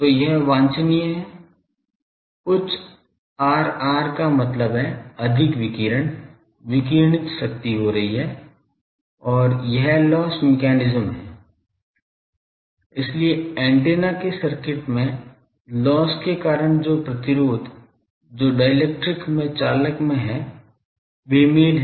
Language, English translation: Hindi, So, it is desirable higher R r means more radiation radiated power is taking place and, this is the loss mechanism so, resistance due to the loss in the circuit of the antenna that is the in the conductor in the dielectric etc